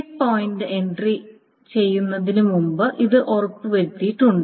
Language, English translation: Malayalam, It is made sure before the checkpoint entry is being made